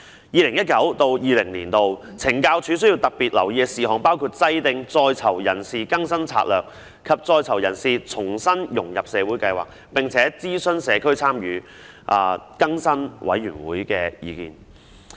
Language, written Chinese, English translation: Cantonese, "二零一九至二零年度需要特別留意的事項"包括："制定在囚人士更生策略及在囚人士重新融入社會計劃，並諮詢社區參與助更生委員會的意見"。, Matters Requiring Special Attention in 2019 - 20 includes develop rehabilitation strategies and re - integration programmes in consultation with the Committee on Community Support for Rehabilitated Offenders